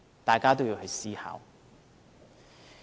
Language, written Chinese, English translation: Cantonese, 大家都要去思考。, We all need to give it serious thoughts